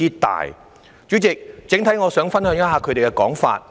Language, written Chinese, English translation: Cantonese, 代理主席，我想整體上分享一下他們的說法。, Deputy President I would like to relay their views in a general manner